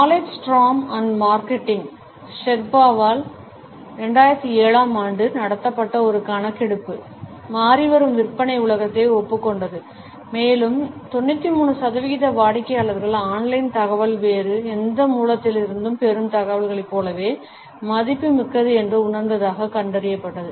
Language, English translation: Tamil, A 2007 survey, which was conducted by Knowledge Storm and Marketing Sherpa, acknowledged the changing sales world and it found that 93 percent of the customers felt that online information was almost as valuable as information which they receive from any other source